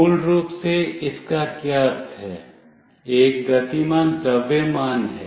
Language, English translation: Hindi, What it means basically is there is a moving mass